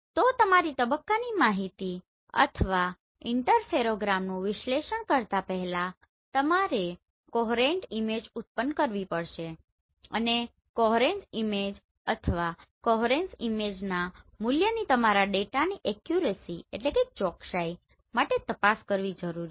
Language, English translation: Gujarati, So before analyzing your phase information right or the Interferogram you have to generate the coherence image and the coherence image value need to be checked for the consistency or the accuracy of your data right